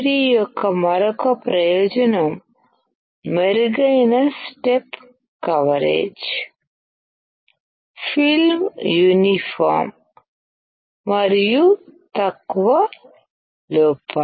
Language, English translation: Telugu, Another advantage of LPCVD is better step coverage film uniformity and fewer defects